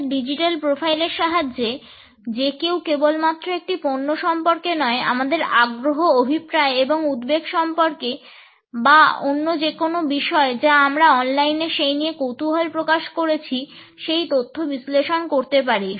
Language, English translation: Bengali, With the help of our digital profile, one can analyse information about our interest, intentions and concerns not only about a product, but also about any other issue about which we might have shown an online curiosity